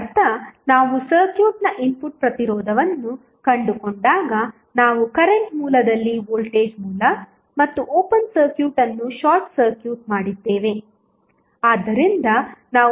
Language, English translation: Kannada, That means when we found the input resistance of the circuit, we simply short circuited the voltage source and open circuit at the current source